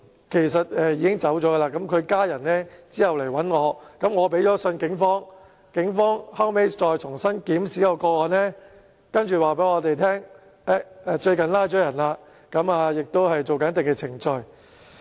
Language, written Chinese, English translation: Cantonese, 其實該市民已經離世，他的家人後來向我求助，我致函警方，警方後來重新檢視該個案，然後回覆我們表示最近已拘捕相關人士，亦正進行一定的程序。, The persons family came to me for help after he had passed away . The Police reviewed the case afresh upon receipt of my letter and replied that the relevant persons had been arrested recently and certain procedures were being undertaken